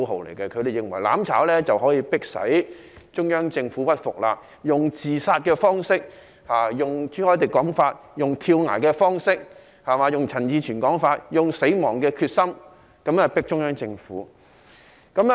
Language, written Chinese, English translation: Cantonese, 他們認為自殺式的"攬炒"可以迫使中央政府屈服，根據朱凱廸議員的說法，是用跳崖方式，根據陳志全議員的說法，是用死亡的決心，脅迫中央政府。, They consider that the suicidal mutual destruction could force the Central Government to give in . In Mr CHU Hoi - dicks wording this is a jump off the cliff . In Mr CHAN Chi - chuens wording this is pressing the Central Government with the will to die